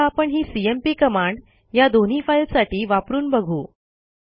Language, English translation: Marathi, Now we would apply the cmp command on this two files